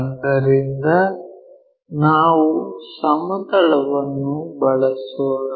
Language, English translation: Kannada, So, let us use a plane